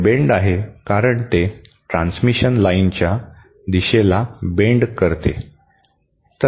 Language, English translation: Marathi, It is bend because it sort of bends the direction of the transmission line